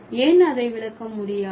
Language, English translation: Tamil, So, why it cannot be interpreted